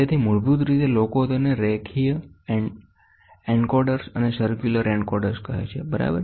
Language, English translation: Gujarati, So, basically people call it as linear encoders and circular encoders, ok